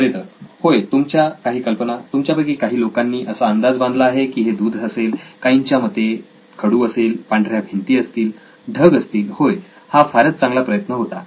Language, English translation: Marathi, Well, yeah some of the ideas are, yes correct some of you guessed milk yeah, chalk, sure walls, white walls yeah, clouds yeah that’s a good one, okay yeah so many of those